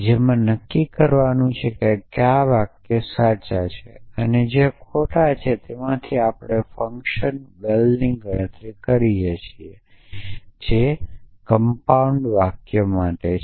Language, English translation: Gujarati, We with basically saves which professions of true and which are falls from that we can come compute this function val which says the something for compound sentences